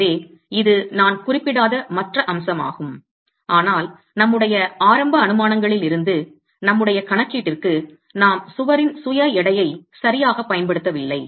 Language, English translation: Tamil, So, this is if the other aspect that I didn't mention but was there in our initial assumptions is for our calculations we have not used the self weight of the wall